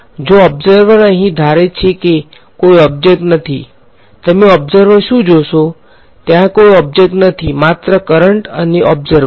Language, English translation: Gujarati, The observer here’s supposing there was no object what would you observer see, there is no object only the current source and the observer